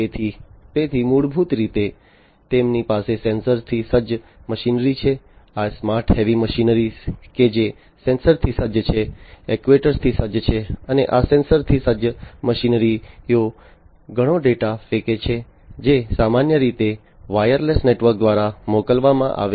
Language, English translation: Gujarati, So, so, basically what they have is sensor equipped machinery, these smart you know heavy machinery that they have they, they are sensor equipped actuator equipped and so on these sensor equip machinery throw in lot of data which are sent through a network typically wireless network